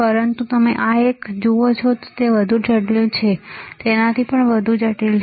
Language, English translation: Gujarati, But you see this one right, is even more complex, even more complex right see